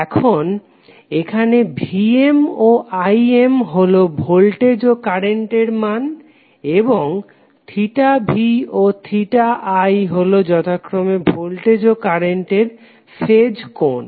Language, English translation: Bengali, Now, here Vm and Im are the amplitudes and theta v and theta i are the phase angles for the voltage and current respectively